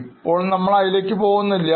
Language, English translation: Malayalam, Of course, right now we will not go into it